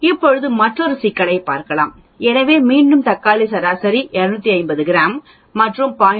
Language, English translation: Tamil, Now, let us look at another problem so again tomatoes the mean is 250 grams and sigma 0